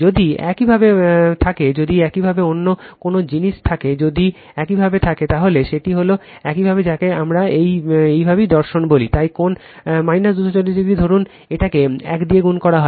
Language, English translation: Bengali, If you have any if you have any other thing if you have that is that is your what we call that is your philosophy right, so V p angle minus 240 degree, suppose it is multiplied by 1